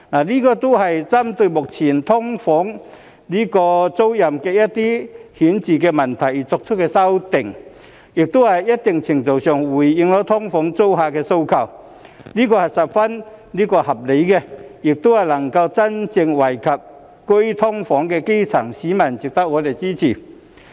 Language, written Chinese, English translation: Cantonese, 這些都是針對目前"劏房"租賃的一些顯著問題而作出的修訂，在一定程度上回應了"劏房"租客的訴求，是十分合理的，亦能夠真正惠及居於"劏房"的基層市民，值得我們支持。, All these are the amendments targeted at some notable problems with the current tenancies of SDUs which have responded to SDU tenants demands to a certain extent . Such amendments are very reasonable and can genuinely benefit the grass - roots living in SDUs . They are thus worth our support